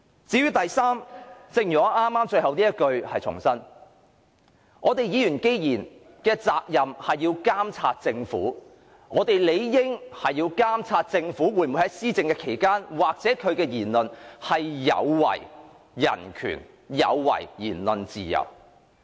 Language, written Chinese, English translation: Cantonese, 至於第三點，正如我剛才所言，既然議員的責任是要監察政府，我們理應監察政府施政期間或作出的言論有否違反人權及言論自由。, For the third point I have just mentioned that as it is a responsibility of Members to monitor the Government it is incumbent upon us to monitor whether human rights and freedom of speech are violated in the administration by the Government or in comments it makes